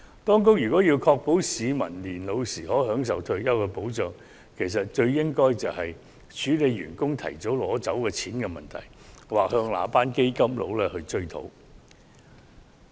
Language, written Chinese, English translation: Cantonese, 當局如要確保市民年老時可享有退休保障，便應處理員工提早取走強積金供款的問題，又或向那些基金經理追討。, If the Government wishes to ensure that people will enjoy retirement protection when they get old it should take action to tackle the problem of early withdrawal of MPF by employees or try to recover the money from fund managers